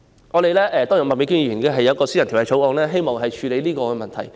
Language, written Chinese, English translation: Cantonese, 麥美娟議員也提出了一項私人條例草案，希望處理這個問題。, Ms Alice MAK has also proposed a private bill to address this problem